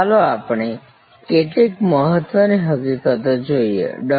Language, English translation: Gujarati, Let us look at few salient facts, Dr